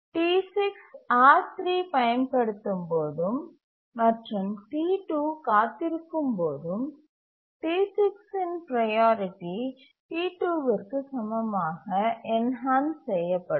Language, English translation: Tamil, When T6 is using R3 and T2 is waiting, T6 priority gets enhanced to that of T2